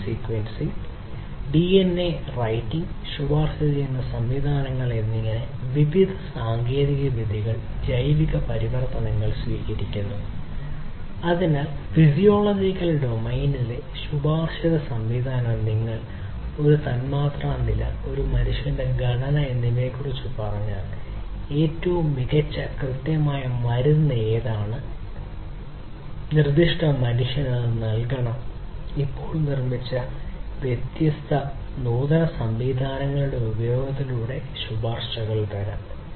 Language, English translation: Malayalam, Biological transformations adoption of different technologies such as gene sequencing, DNA writing, recommender systems, so recommender system in the physiological domain is about like if you tell some of the molecular level, you know, composition of a human being then what is the best precise drug that should be administered to that particular human that recommendation can come in through the use of different advanced systems that have been produced now